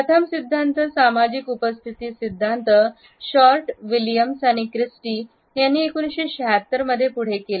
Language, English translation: Marathi, The first theory social presence theory was put forward by Short, Williams and Christy in 1976